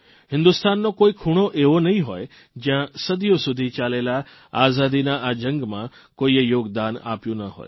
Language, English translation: Gujarati, There must've been hardly any part of India, which did not produce someone who contributed in the long freedom struggle,that spanned centuries